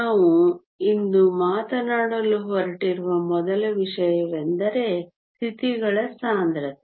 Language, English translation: Kannada, The first thing we are going to talk about today is called density of states